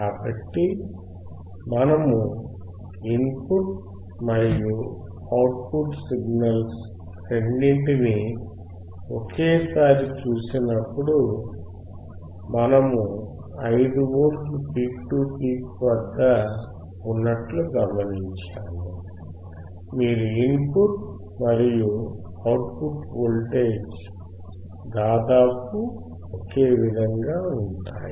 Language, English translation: Telugu, So, when we see both input and output signals simultaneously, what we observe here is at 5V peak to peak, your input and output voltage remains almost same